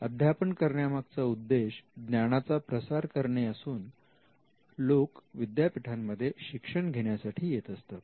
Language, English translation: Marathi, Now, the teaching function started off as a way to spread knowledge and in fact the reason why people enroll in universities is to gain knowledge